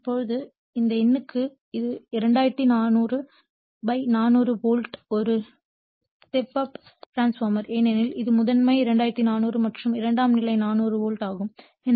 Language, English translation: Tamil, So, now, this is for this numerical a 2400 / 400 volt is a step down transformer because this is primary sidE2400 and secondary side 400 volts